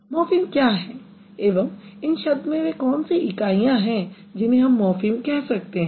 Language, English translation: Hindi, What are the morphemes or what are the units in these words which can be called as morphemes